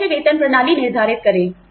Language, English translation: Hindi, How do we determine pay systems